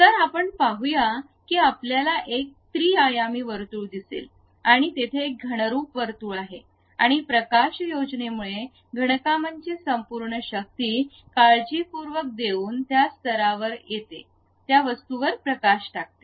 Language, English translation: Marathi, So, let us look at that you see a 3 dimensional there is a circle and there is a concentric circle and because of lighting, the entire power of solid works comes at this level by carefully giving light on that object